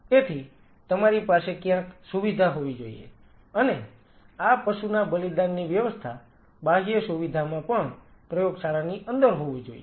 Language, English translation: Gujarati, So, you have to have a facility somewhere and these this animal sacrificing should deep inside the lab even in the outer facility